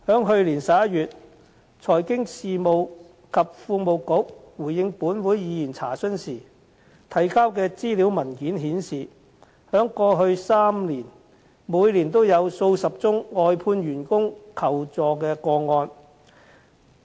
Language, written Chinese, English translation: Cantonese, 去年11月財經事務及庫務局回應本會議員查詢時提交的資料文件顯示，在過去3年，每年也有數十宗外判員工求助個案。, According to the information paper provided by the Financial Services and the Treasury Bureau in reply to a question asked by a Member in this Council in November last year in each of the past three years there were dozens of cases of workers employed for outsourced services seeking assistance